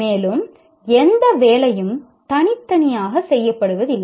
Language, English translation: Tamil, And then no job is ever done individually